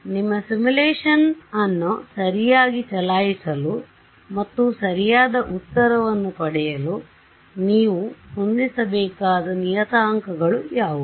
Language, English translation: Kannada, What are the parameters that you have to set to run your simulation correctly and get the correct answer